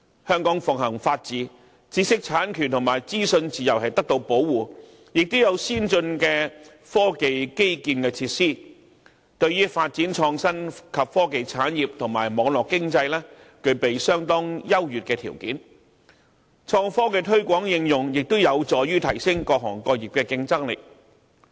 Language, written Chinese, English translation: Cantonese, 香港奉行法治，知識產權和資訊自由得到保護，亦有先進的科技基建設施，對於發展創新及科技產業和網絡經濟，具備相當優越的條件。創科的推廣應用，亦有助提升各行各業的競爭力。, The rule of law is upheld in Hong Kong intellectual property rights and the freedom of information are protected here and there is also the provision of advanced science and technology infrastructure . These have provided us with some very favourable conditions for the development of innovation and technology industry and network economy and the extended application of innovation and technology will also help to enhance the competitiveness of different sectors and industries